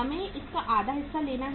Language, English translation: Hindi, We have to take half of this